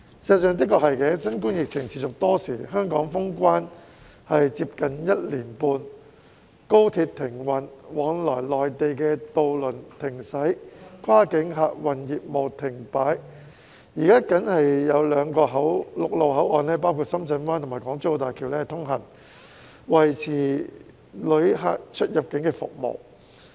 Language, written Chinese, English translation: Cantonese, 事實上，新冠疫情持續多時，香港封關接近一年半，高鐵停運、往來內地渡輪停駛、跨境客運業務停擺，現時僅有兩個陸路口岸包括深圳灣及港珠澳大橋通行，維持旅客的出入境服務。, High speed rail and ferry services to the Mainland have been suspended . Cross - boundary passenger services have come to a standstill . Currently only two land boundary control points namely Shenzhen Bay and the Hong Kong - Zhuhai - Macao Bridge are open to maintain immigration clearance service